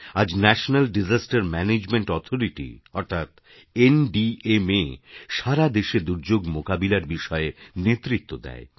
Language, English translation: Bengali, Today, the National Disaster Management Authority, NDMA is the vanguard when it comes to dealing with disasters in the country